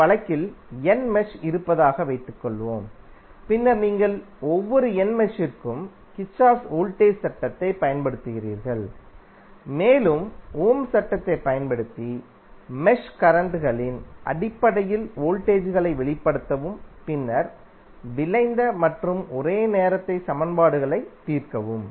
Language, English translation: Tamil, Suppose in this case there are n mesh and then you apply Kirchhoff's voltage law to each of the n mesh and use Ohm's law to express the voltages in terms of the mesh currents and then solve the resulting and simultaneous equations to get the mesh currents